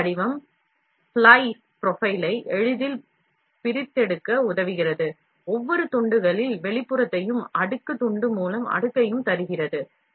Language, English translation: Tamil, The file format enables easy extraction of the slice profile, giving the outline of each slice, layer by layer slice